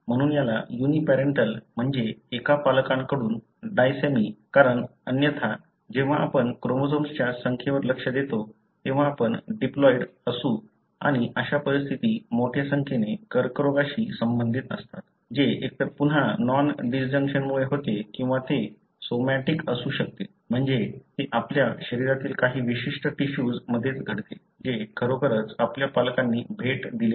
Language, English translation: Marathi, Therefore, it is called as uniparental, meaning from one parent, disomy, because otherwise you are diploid when you look into the number of chromosomes and such conditions are associated with a large number of cancers, which happens either because of non disjunction again or it could be somatic, meaning it happens only in certain tissues in your body not really gifted by your parents